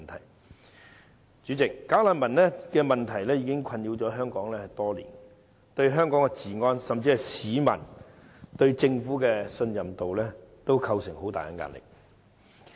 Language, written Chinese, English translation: Cantonese, 代理主席，"假難民"問題已困擾香港多年，對香港治安，甚至是市民對政府的信任度，均構成巨大壓力。, Deputy President the bogus refugees issue has been haunting Hong Kong for many years . It has also posed tremendous pressure on Hong Kongs law and order or even public trust in the Government